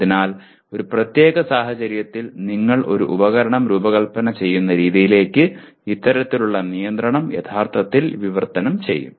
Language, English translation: Malayalam, So this kind of constraint will actually translate into the way you would design a piece of equipment in a given situation